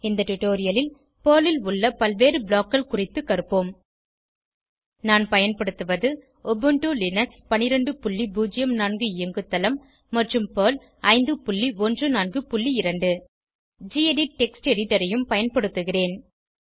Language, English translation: Tamil, In this tutorial, we will learn about the various BLOCKS available in Perl I am using Ubuntu Linux 12.04 operating system and Perl 5.14.2 I will also be using the gedit Text Editor